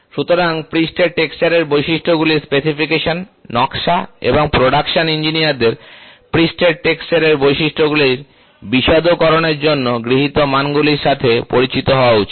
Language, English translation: Bengali, So, specification of surface texture characteristics, design and production engineers should be familiar with the standards adopted for specification of the characteristics of a surface texture